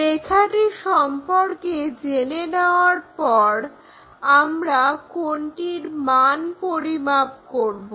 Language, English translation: Bengali, Once line is known we can measure what is this angle